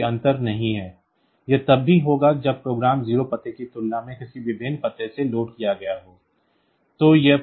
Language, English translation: Hindi, So, there is no difference will be there even if the program is loaded from a different address compared to the 0 address